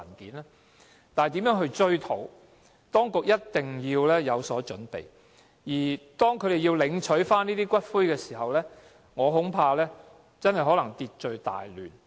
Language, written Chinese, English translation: Cantonese, 如何應對消費者追討賠償，當局一定要有所準備，否則當他們領取骨灰時，我恐怕可能真的會秩序大亂。, The authorities must make preparations to respond to consumers who seek compensation or else I am afraid there will be chaos when they come to claim the return of the ashes